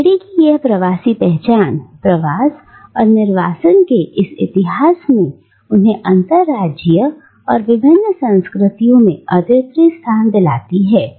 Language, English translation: Hindi, And this diasporic identity of Lahiri, this history of migration and exile has created for her a unique location in the interstices or in the gaps of different cultures